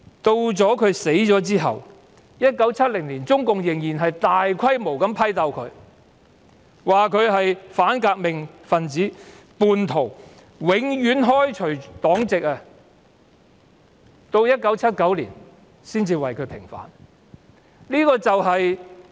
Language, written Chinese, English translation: Cantonese, 他死後，在1970年，中共仍大規模批鬥他，指他是反革命分子、叛徒，並永久開除他的黨籍，直到1979年才為他平反。, After his death CPC still extensively criticized and denounced him in 1970 calling him a counter - revolutionary traitor . TIAN Han was permanently expelled from CPC and was only vindicated in 1979